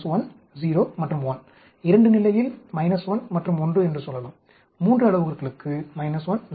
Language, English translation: Tamil, In a 2 level, we say minus 1 and 1, for a 3 parameter we say minus 1, 0, 1